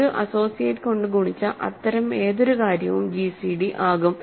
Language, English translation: Malayalam, So, any such thing multiplied by an associate is also going to be gcd